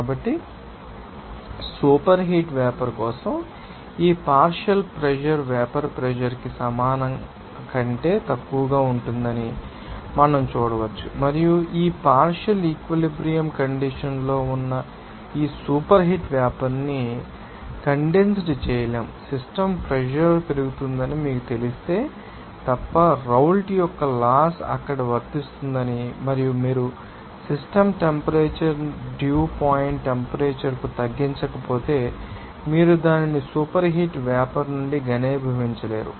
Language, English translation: Telugu, So, for superheated vapor we can see that this partial pressure will be less than equals to vapor pressure and this superheated vapor at this partial saturated condition cannot be condensed unless if you know that increase the system pressure says that the Raoult’s law applies there and also if you are not actually decreasing the system temperature to the dew point temperature, then you not be able to have that you know that condense it on from the superheated vapour